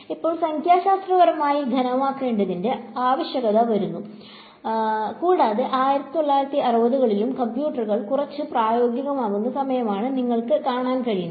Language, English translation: Malayalam, So, therefore, the need to now solid numerically comes about and you can see 1960s is also around the time when computers are becoming somewhat practical